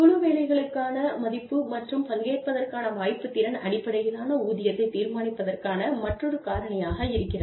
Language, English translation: Tamil, Value for team work and opportunity to participate is another factor, in deciding competency based pay